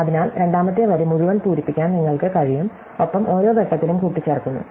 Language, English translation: Malayalam, So, we can fill the entire second row and at each point we are just adding up